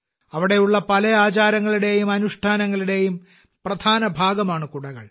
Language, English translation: Malayalam, Umbrellas are an important part of many traditions and rituals there